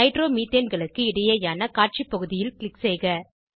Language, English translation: Tamil, Click on the Display area in between Nitromethanes